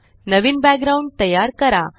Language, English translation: Marathi, Create a new background